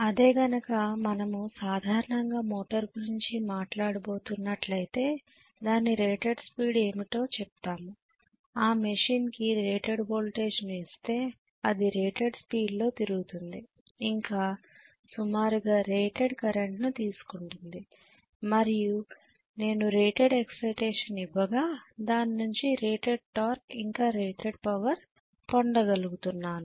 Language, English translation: Telugu, Whereas if we are going to talk about motor normally we are going to say what is the rated speed, rated speed is achieved when I apply rated voltage to the machine, the machine is drawing approximately rated current and I have given rated excitation and I am drawing rated torque or rated power from the machine